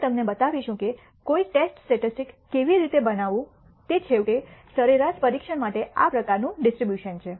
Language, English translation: Gujarati, We will show you how to construct a test statistic that finally, has this kind of a distribution for testing the mean